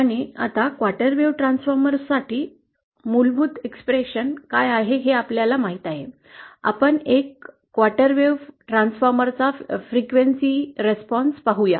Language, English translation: Marathi, And now that we know what is the basic expression for a quarter wave transformer; let us sees the frequency response of a quarter wave transformer